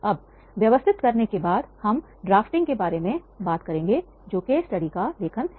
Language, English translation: Hindi, Now, after organizing, we will talk about the drafting that is the writing of the case study